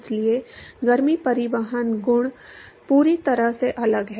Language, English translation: Hindi, Therefore, the heat transport properties are completely different